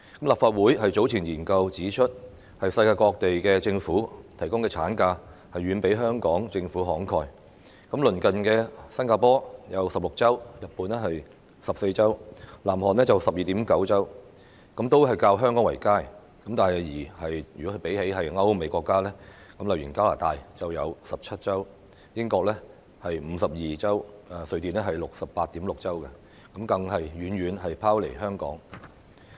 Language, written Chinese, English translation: Cantonese, 立法會早前的研究指出，世界各地政府提供的產假遠比香港政府慷慨，例如鄰近的新加坡有16周、日本14周及南韓 12.9 周，均較香港為佳；但比起歐美國家如加拿大的17周、英國52周及瑞典 68.6 周，更遠遠拋離香港。, An earlier study by the Legislative Council pointed out that the governments around the world are far more generous than the Hong Kong Government in their provision of ML . For instance 16 weeks in neighbouring Singapore 14 weeks in Japan and 12.9 weeks in South Korea are all better than that of Hong Kong . However in comparison European and American countries outdo Hong Kong by far with 17 weeks in Canada 52 weeks in the United Kingdom and 68.6 weeks in Sweden for example